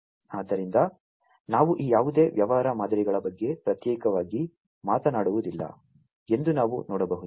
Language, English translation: Kannada, So, as we can see that we are not talking about any of these business models in isolation